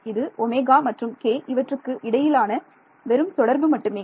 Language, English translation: Tamil, Just the relation between omega and k